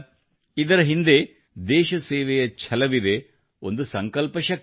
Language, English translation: Kannada, Behind it lies the spirit of service for the country, and power of resolve